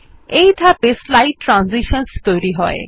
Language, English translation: Bengali, This is the step for building slide transitions